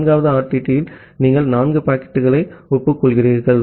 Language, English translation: Tamil, In the 3rd RTT, you are acknowledging 4 packets